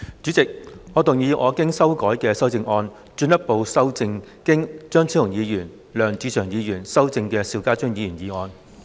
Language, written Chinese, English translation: Cantonese, 主席，我動議我經修改的修正案，進一步修正經張超雄議員及梁志祥議員修正的邵家臻議員議案。, President I move that Mr SHIU Ka - chuns motion as amended by Dr Fernando CHEUNG and Mr LEUNG Che - cheung be further amended by my revised amendment